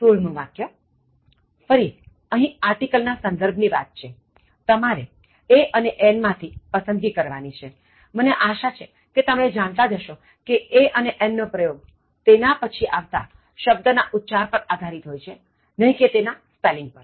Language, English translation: Gujarati, 16, Again with regard to use of articles, between choice between a and an, I hope you know that a and an are used based on the pronunciation of the word after them, and not their spelling